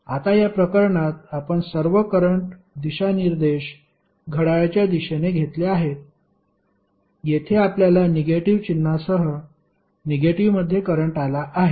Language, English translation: Marathi, Now in this case we have taken all the current direction as clockwise, here we have got current in negative with negative sign